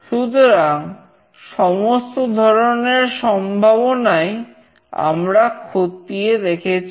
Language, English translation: Bengali, So, all the possible ways we have taken into consideration